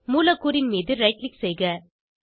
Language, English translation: Tamil, Right click on the molecule